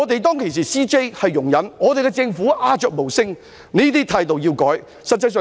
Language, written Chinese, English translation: Cantonese, 當時的 CJ 容忍，政府又鴉雀無聲，這種態度必須加以改善。, At the time the then Chief Justice tolerated him and the Government was completely silent . Such an attitude must be rectified